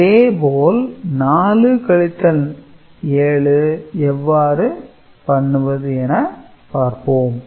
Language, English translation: Tamil, And, had it been 4 minus 7 how would how would have been the case